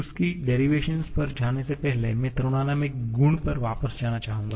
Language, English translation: Hindi, For that or before going to the derivation of that, I would like to go back to the thermodynamic property